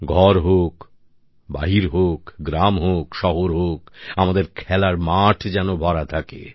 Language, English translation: Bengali, At home or elsewhere, in villages or cities, our playgrounds must be filled up